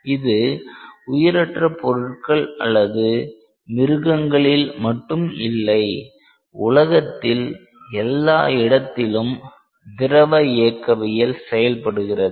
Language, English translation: Tamil, Fluid mechanics is not just in inanimate objects or in animals, but fluid mechanics is everywhere in the world